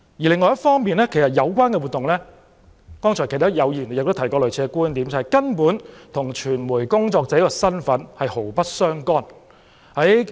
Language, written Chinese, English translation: Cantonese, 另一方面，有議員剛才亦提到類似的觀點，即有關活動根本與傳媒工作者的身份毫不相干。, On the other hand some Members raised a similar view that is the relevant event was by no means related to the status of media workers